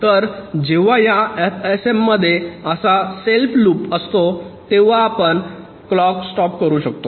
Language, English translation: Marathi, so whenever in these f s ms there is a self loop like this, we can stop the clock